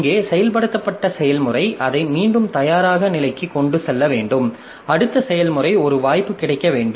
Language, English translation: Tamil, So, the process which was executing here, so it has to be taken back to the ready state and the next process should get a chance